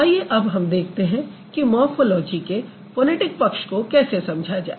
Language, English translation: Hindi, So, now let's see how we are going to understand the phonetics of or the phonetic aspect of morphology